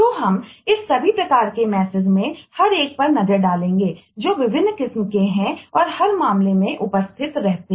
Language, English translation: Hindi, so we will take a look into each one of these types of messages, what are the different varieties that exist in every case